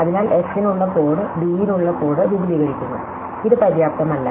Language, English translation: Malayalam, So, the code for f extends the code for d, this is not enough